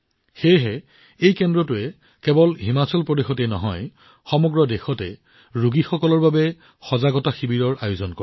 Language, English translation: Assamese, That's why, this centre organizes awareness camps for patients not only in Himachal Pradesh but across the country